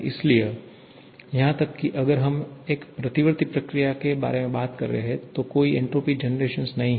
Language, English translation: Hindi, So, even if we are talking about a reversible process, then there is no entropy generation; however, entropy generation is always a positive term